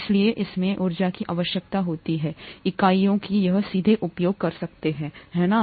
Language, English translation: Hindi, Therefore it requires energy in units that it can use directly, right